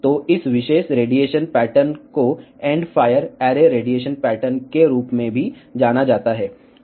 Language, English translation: Hindi, So, this particular radiation pattern is also known as end of fire array radiation pattern